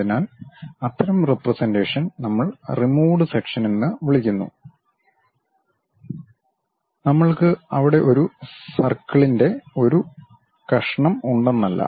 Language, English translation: Malayalam, So, such kind of representation what we call removed sections; it is not that we have a slice of circle there